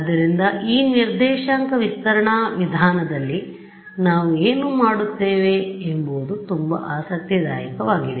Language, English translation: Kannada, So, what we do in this coordinate stretching approach is going to be very interesting